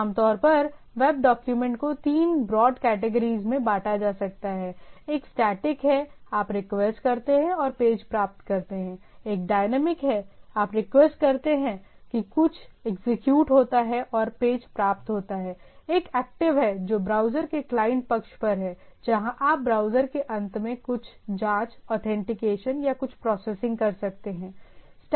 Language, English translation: Hindi, So, typically web document can be grouped into three broad categories right, one is static, you request and get the page; one is dynamic, you request get something executed and get the page; one is active which is on the on your side of the browser, where you say some checking, authentication, some processing at the browser end